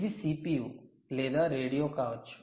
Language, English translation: Telugu, this could be the cpu